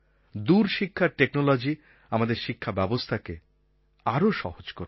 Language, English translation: Bengali, Long distance education and technology will make the task of education simpler